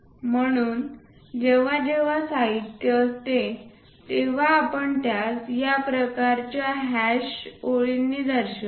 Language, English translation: Marathi, So, whenever material is there, we show it by this kind of hash lines